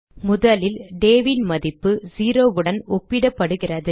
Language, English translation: Tamil, First the value of day is compared with 0